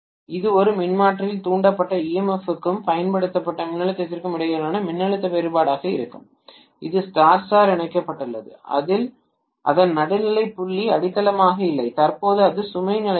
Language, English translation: Tamil, That is going to be voltage difference between the induced emf and the applied the voltage in a transformer which is Star Star connected whose neutral point is not grounded and currently it is on no load condition